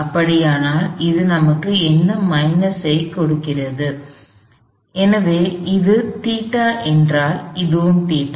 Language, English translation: Tamil, So, what does that give us minus, this is theta, then this is also theta